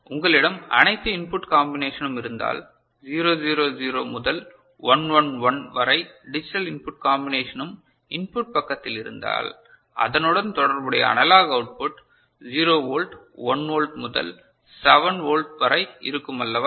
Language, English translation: Tamil, And if you have all the input combinations, digital input combination from 0 0 0 to 1 1 1 ok, you have at the input side, then the corresponding analog output will be 0 volt, 1 volt to 7 volt is not it